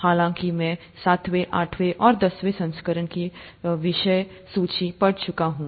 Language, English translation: Hindi, However, I’ve gone through the table of contents of seventh, eighth and the tenth editions